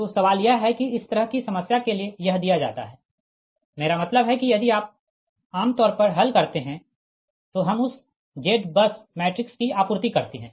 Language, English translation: Hindi, so question is that for this kind of problem, if it is given, i mean if you solve, generally we supply that z bus matrix